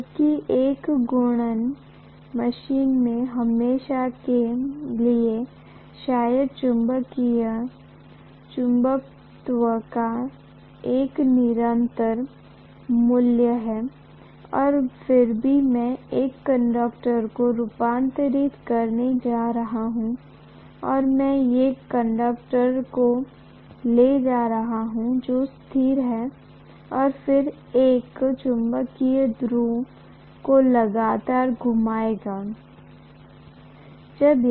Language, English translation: Hindi, Whereas in a rotating machine, invariably, what I am going to do is, to probably have a constant value of magnetism and then I am going to move a conductor, or, I am going to have a conductor which is stationary and then move a magnetic pole continuously, rotate it